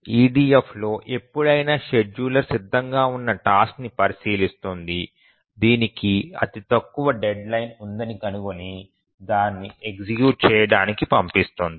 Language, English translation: Telugu, In the EDF at any time the scheduler examines the tasks that are ready, finds out which has the shorter deadline, the shortest deadline and then dispatches it for execution